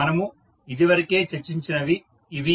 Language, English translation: Telugu, So, this is what we have already discussed